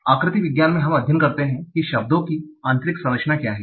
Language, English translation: Hindi, In morphology, we study what is the internal structure of words